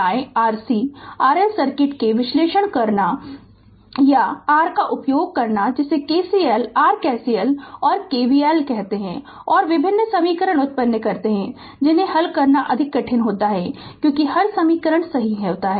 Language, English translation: Hindi, We carry out the analysis of R C and R L circuit by using your what you call KCL your KCL and KVL and produces different equations, which are more difficult to solve then as every equations right